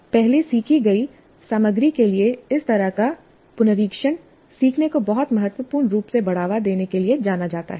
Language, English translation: Hindi, Such a revisit to material learned earlier is known to promote learning very significantly